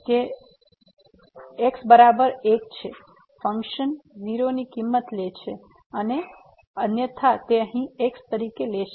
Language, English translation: Gujarati, So, at is equal to 1 the function is taking value as 0 and otherwise its taking here as